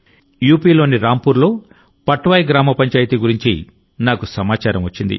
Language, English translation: Telugu, I have come to know about Gram Panchayat Patwai of Rampur in UP